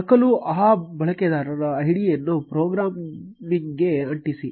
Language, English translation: Kannada, Copy; paste that user id into the program